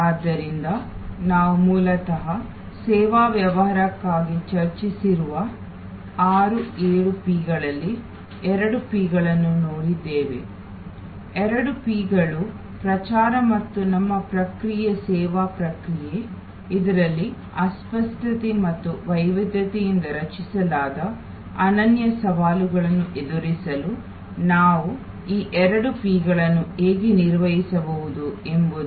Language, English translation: Kannada, So, we saw basically the two P’s of out of the 6, 7 P’s that we have discussed for service business, the two P’s that is promotion and our process service process, how we can manage these two P’s to address the unique challenges created in service due to intangibility and heterogeneity